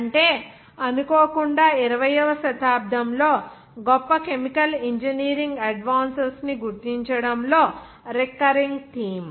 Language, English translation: Telugu, That is, unfortunately, a recurring theme in identifying the great chemical engineering advances in the 20th century